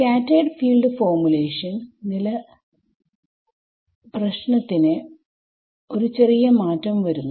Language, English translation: Malayalam, In the scattered field formulation, the problem changes a little bit